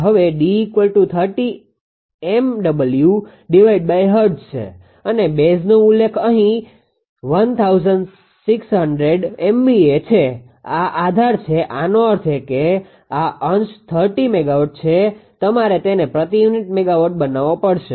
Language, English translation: Gujarati, Now D is equal to then your 30 megawatts for hertz and base is mention here 1600 MVA; this is the base; that means, this numerator is 30 megawatt you have to make it in per unit megawatt